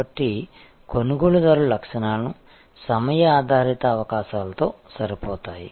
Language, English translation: Telugu, So, buyer characteristics will be the matched with the time based possibilities